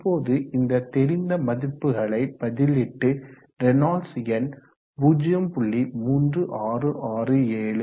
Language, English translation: Tamil, Now knowing all this substituting we can find that Reynolds number is given by 0